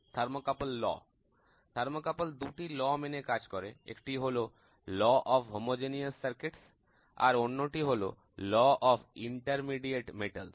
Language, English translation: Bengali, The law of thermocouples, there are two laws of thermocouple: one is called a law of homogeneous circuits the other one is called a law of intermediate metals